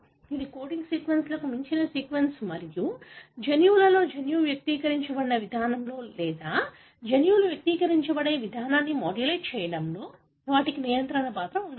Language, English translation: Telugu, These are sequence beyond the coding sequences and they may have a regulatory role in modulating the way the gene, in the genes are expressed or modulating the way the genomes are expressed